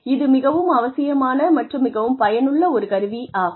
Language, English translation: Tamil, It is a very essential, very helpful tool, to have